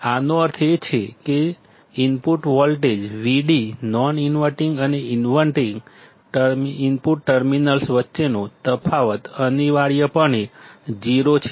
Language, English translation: Gujarati, This means that the difference in input voltage Vd between the non inverting and inverting input terminals is essentially 0